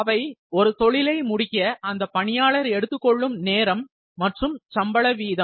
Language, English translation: Tamil, The time that it takes for the person to complete the job, and the wage rate